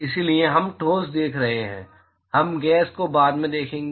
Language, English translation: Hindi, So, we are looking at solids we will look at gases later